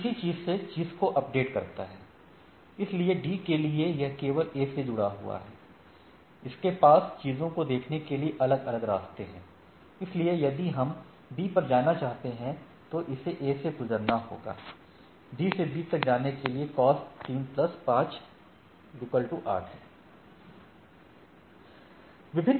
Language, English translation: Hindi, So, it goes on updating the thing similarly, so for D, it is a only connected to A, it has different paths to look at the things so, if we want to go to B, it has to go via A and the cost for, to go to D to B the cost is 3 plus 5, 8 right